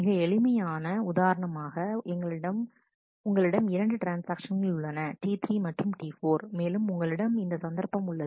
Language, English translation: Tamil, Just as very simple example suppose you had 2 transactions T 3 and T 4, and you have this situation